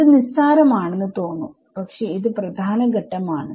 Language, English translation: Malayalam, So, it looks it looks trivial, but this is an important step